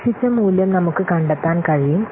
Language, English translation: Malayalam, So you can find out the expected value